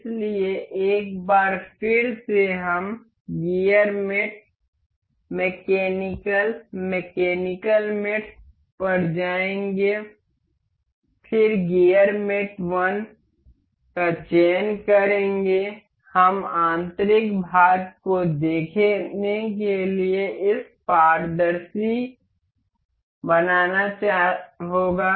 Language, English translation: Hindi, So, once again we will go to this gear mate, mechanical, mechanical mates, then gear mate I will select we will have to make this transparent to see the inner part I will select click ok